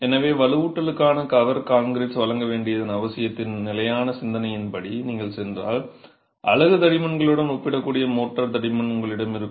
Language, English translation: Tamil, So, if you were to go by the standard thinking of the need to provide cover concrete for the reinforcement, you will have mortar thicknesses which are comparable to unit thicknesses